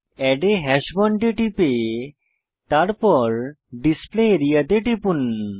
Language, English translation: Bengali, Click on Add a hash bond and then click on the Display area